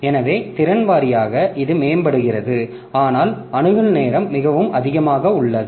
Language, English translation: Tamil, So, capacity wise it is improving but the access time is pretty high